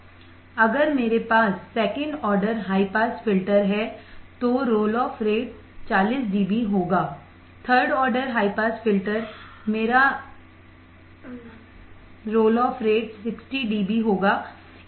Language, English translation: Hindi, If I have second order high pass filter, then the roll off rate would be 40 dB, third order high pass filter my role off rate would be 60 dB